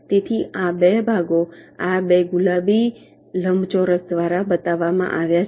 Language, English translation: Gujarati, so these two parts is shown by these two pink rectangles